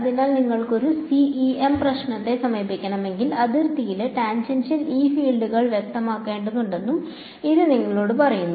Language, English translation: Malayalam, So, this also tells you that if you want to approach a CEM problem, you need to specify the tangential E fields on the boundary